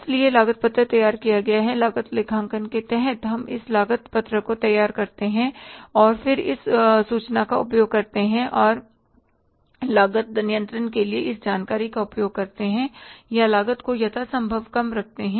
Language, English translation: Hindi, So, cost sheet we prepare is under the cost accounting, we prepare this cost sheet and then we use this information and use this information for the cost control or keeping the cost as low as possible